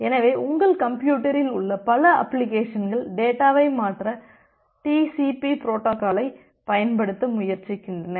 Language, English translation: Tamil, So it may happen that multiple applications in your machine are trying to use the TCP protocol to transfer the data